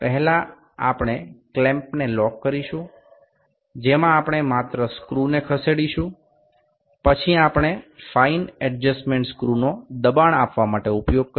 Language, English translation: Gujarati, First will lock the clamp in which we are just moving screw then we will then we have then we will use the fine adjustments screw to provide to put the pressure